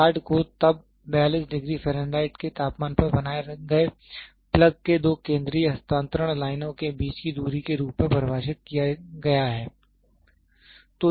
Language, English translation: Hindi, Yard is then defined as a distance between two central transfer lines of the plug maintained at a temperature of 62 degree F